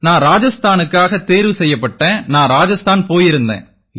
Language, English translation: Tamil, I got selected for Rajasthan